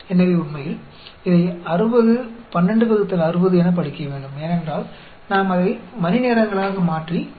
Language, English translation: Tamil, So, actually, this should read as 60, 12 by 60, because we are converting that into hours, multiplying by 0